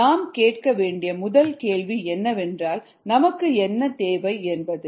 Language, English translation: Tamil, the first question to ask is: what is needed